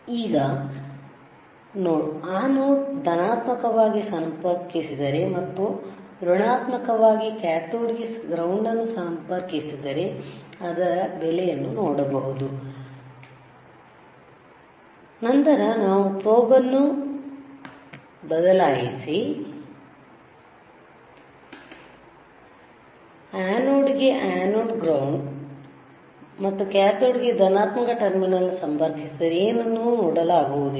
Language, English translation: Kannada, Right now, is a diode, and if we connect it the positive to the anode and negative there is a ground to cathode, then only we will see this value if we change the probe that is, if in change the value that is negative or ground to the anode, and the positive terminal to the cathode then you see, you cannot see anything